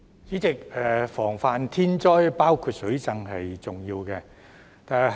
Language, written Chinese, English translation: Cantonese, 主席，防範天災，包括水浸，是十分重要的。, President it is very important to prevent natural disasters including flooding